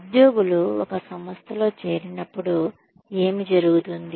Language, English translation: Telugu, What happens, when employees join an organization